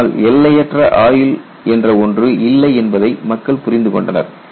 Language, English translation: Tamil, People have understood that nothing like an infinite life